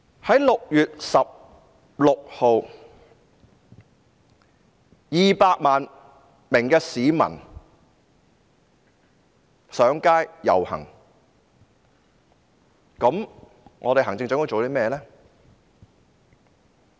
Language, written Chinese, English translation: Cantonese, 在6月16日 ，200 萬名市民上街遊行，行政長官又做過甚麼呢？, What did the Chief Executive do when 2 million people took to the streets on 16 June?